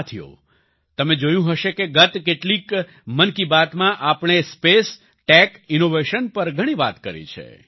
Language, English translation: Gujarati, Friends, you must have noticed that in the last few episodes of 'Mann Ki Baat', we discussed a lot on Space, Tech, Innovation